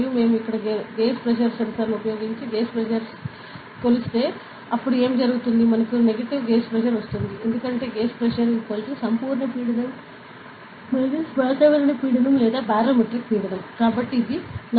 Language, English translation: Telugu, And if we measure the gauge pressure using a gauge pressure sensor over here, then what happens is, we will get a negative gauge pressure right; because the gauge pressure is equal to the absolute pressure minus atmospheric pressure or barometric pressure